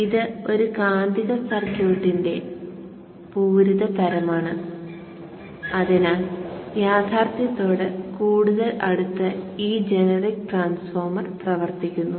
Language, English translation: Malayalam, So this is a saturating type of a magnetic circuit and therefore this transformer is a generic transformer which behaves much more closer to reality